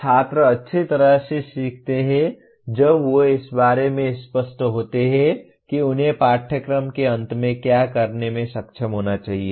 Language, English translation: Hindi, Students learn well when they are clear about what they should be able to do at the end of a course